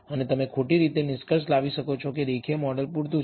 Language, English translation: Gujarati, And you may conclude incorrectly conclude that the linear model is adequate